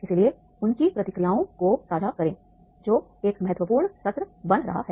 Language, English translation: Hindi, So share their reactions that that is becoming an important session